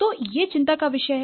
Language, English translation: Hindi, So, that's the concern